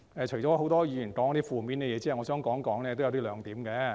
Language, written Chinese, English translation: Cantonese, 除了很多議員說了一些負面的東西外，我想談談以下兩點。, Apart from some negative comments made by many Members I would like to talk about the following two points